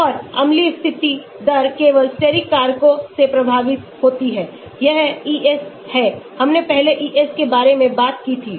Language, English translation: Hindi, And acidic condition rate is affected by steric factors only, that is Es, we talked about Es before